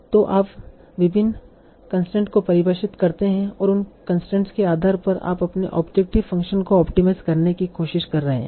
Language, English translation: Hindi, So you define the various constraints and based on those constraints you are trying to optimize your objective function